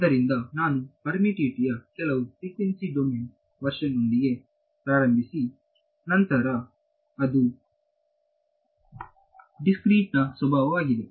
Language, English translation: Kannada, So, I started with some frequency domain version of the permittivity which is the dispersive nature